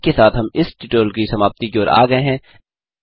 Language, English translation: Hindi, So, this brings us to the end of the tutorial